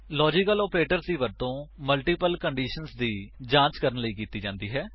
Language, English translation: Punjabi, Logical operators are used to check for multiple conditions